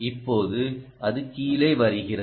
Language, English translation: Tamil, yes, there you are, now it's coming down